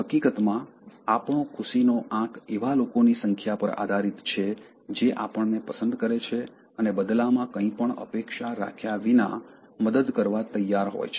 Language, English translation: Gujarati, In fact, our happiness quotient depends on the number of people who like us and are willing to help us without expecting anything in return